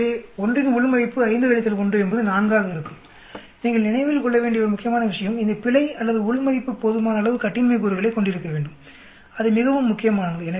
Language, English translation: Tamil, So 1 within will come to be 5 minus 1 is 4, one important point you need to keep in mind is this error or within should have sufficiently large degrees of freedom that is very very important